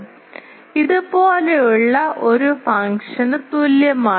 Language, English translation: Malayalam, So, that is equal to a function like this